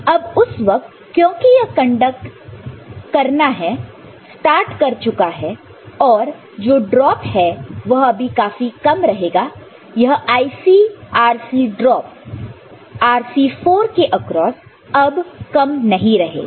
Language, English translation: Hindi, And at that time, at that time of course, since this has started conducting these drop is not negligible anymore these IRc this drop across this Rc4 is not negligible anymore, ok